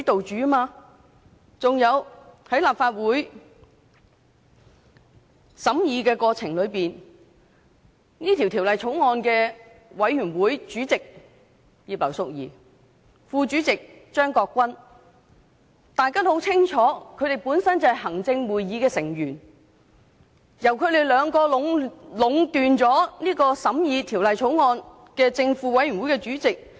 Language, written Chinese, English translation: Cantonese, 此外，在立法會審議《條例草案》的過程中，大家也很清楚法案委員會主席葉劉淑儀議員和副主席張國鈞議員本身是行政會議成員，二人壟斷了審議《條例草案》的法案委員會正副主席一職。, Moreover during the consideration of the Bill in the Legislative Council we know it well that Chairman Mrs Regina IP and Deputy Chairman Mr CHEUNG Kwok - kwan of the Bills Committee are themselves Executive Council Members . Both the positions of Chairman and Deputy Chairman of the Bills Committee on the Bill have gone to them